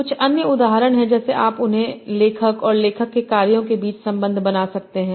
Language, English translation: Hindi, Like you can have the connection between the author and the works of author